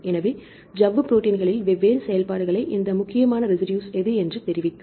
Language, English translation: Tamil, So, here it will tell you these important residues which are performing different functions in membrane proteins